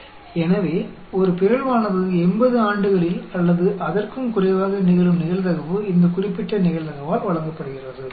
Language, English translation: Tamil, So, the probability that a mutation will take place in 80 years or less, is given by this particular probability